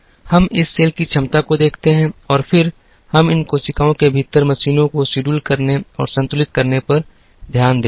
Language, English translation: Hindi, We look at capacity of this cell and then, we look at scheduling and balancing the machines within these cells